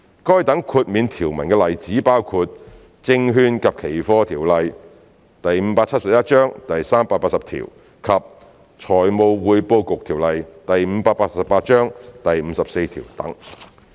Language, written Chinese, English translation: Cantonese, 該等豁免條文的例子包括《證券及期貨條例》第380條及《財務匯報局條例》第54條等。, Examples can be found in section 380 of the Securities and Futures Ordinance Cap . 571 and section 54 of the Financial Reporting Council Ordinance Cap . 588